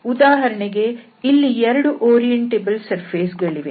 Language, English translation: Kannada, So for instance here we have these 2 orientable surfaces